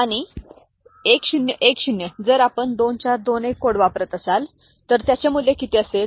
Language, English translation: Marathi, And 1010 if we are using 2421 code, what will be the value